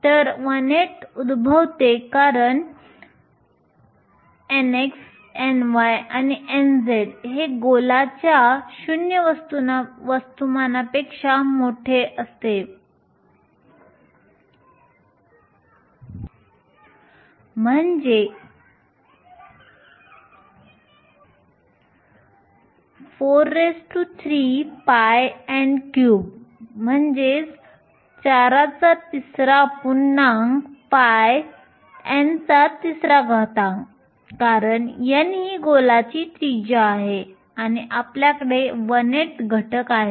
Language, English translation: Marathi, So, the one eighth arises because n x, n y and n z are all greater than 0 volume of the sphere is nothing but 4 by 3 pi n cube since n is the radius of the sphere and you have the factor one eighth